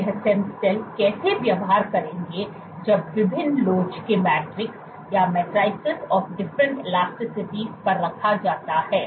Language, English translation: Hindi, What about stem cells how would these stem cells behave, when placed on matrices of different elasticities